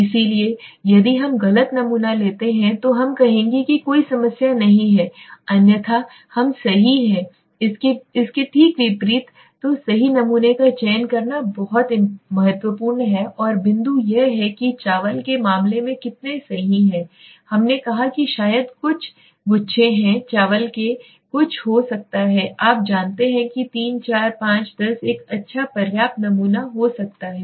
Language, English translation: Hindi, So just opposite right so selecting the right sample is very important and the point is how many is a question how many is the right one right suppose in the case of rice we said maybe a few flakes of rice may be a few you know 3 4 5 10 may be would a good enough right